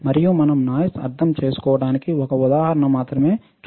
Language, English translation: Telugu, And we will just see one example to understand the noise